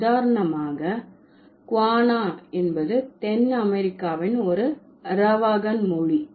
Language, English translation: Tamil, For example, Guana is a language which this is an Arawakhan language of South America